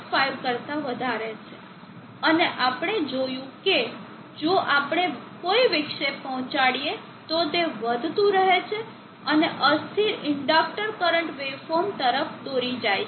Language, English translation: Gujarati, 5 and we see that if we give a disturbances, it keeps growing and leads to an unstable inductor current where form